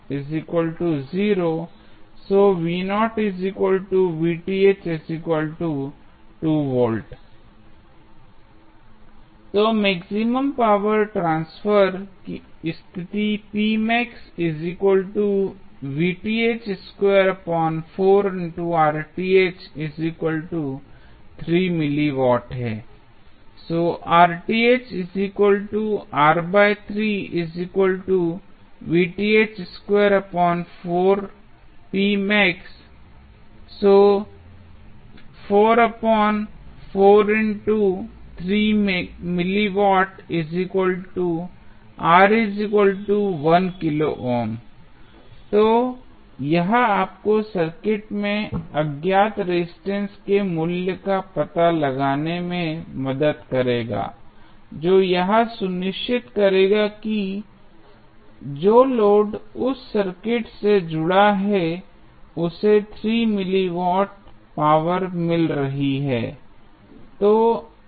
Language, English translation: Hindi, So, now, we are not asking for load Rl we are asking for finding out the value of the unknown resistance R so that the power maximum power being delivered to the load 3 milli watt